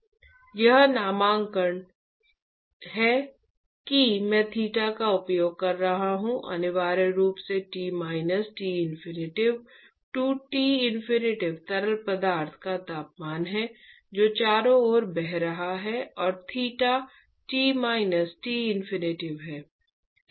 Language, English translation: Hindi, That is the nomenclature that I have been using theta is essentially T minus T infinity to the T infinity is the temperature of the fluid which is flowing around and theta is T minus T infinity